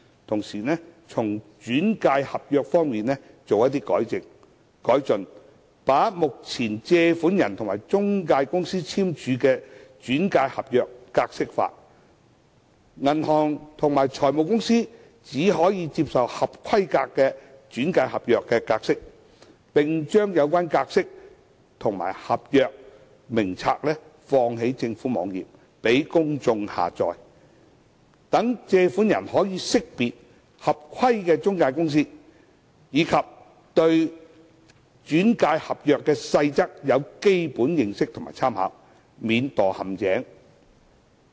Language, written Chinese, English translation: Cantonese, 同時，在"轉介合約"方面亦可作出改善，把目前借款人和中介公司簽署的"轉介合約"格式化，銀行和財務公司只可以接受合規格的"轉介合約"格式，並將有關格式化的合約和名冊載列於政府網頁，供公眾下載，讓借款人識別合規的中介公司，以及對"轉介合約"的細則有基本認識及參考，免墮陷阱。, Meanwhile improvements can be made to the referral agreement by standardizing the format of the agreement currently signed between a borrower and an intermediary and requiring banks and financial institutions to accept only referral agreements of the standard format . Meanwhile the standard format of the agreement and the register should be uploaded onto the government website for downloading by the public . This will enable borrowers to identify compliant intermediaries and obtain for reference basic information on the detailed provisions of the referral agreement so as not to fall into any trap